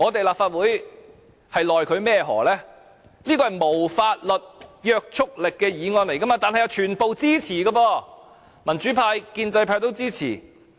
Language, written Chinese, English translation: Cantonese, 立法會也沒奈何，這是無法律約束力的議案，但全部議員也是支持的，民主派、建制派也支持。, The Legislative Council will not be able to do anything because the motion does not have any legislative effect . However this motion was supported by all Members from both the democratic camp and the pro - establishment camp